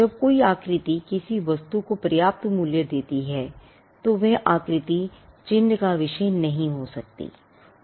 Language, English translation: Hindi, When a shape gives a substantial value to the good, then that shape cannot be a subject matter of a mark